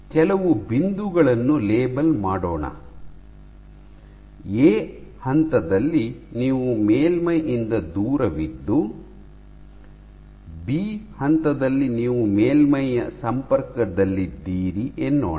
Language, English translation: Kannada, So, let me label some points, at point A you are far from the surface, at point B you contact the surface